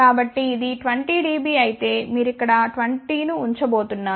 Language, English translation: Telugu, So, if it is 20 dB you are just going to put 20 here